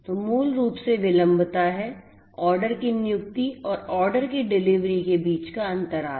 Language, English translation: Hindi, So, basically this is this latency that the lag between the placement of the order and the delivery of the order